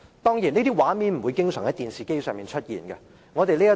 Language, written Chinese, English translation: Cantonese, 當然，這些畫面不常在電視機出現。, Certainly such scenes do not appear on the television screen very often